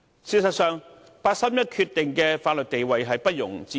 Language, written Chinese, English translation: Cantonese, 事實上，八三一的法律地位不容置疑。, As a matter of fact the legal status of the 31 August Decision is unquestionable